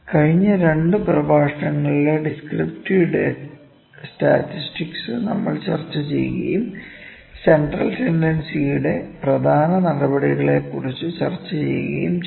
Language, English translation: Malayalam, So, just recapitulate, we discussed this descriptive statistics in the last 2 lectures and we discussed the important measures of central tendency, ok